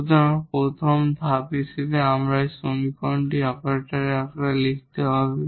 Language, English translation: Bengali, So, first we need to write the equation in the operator form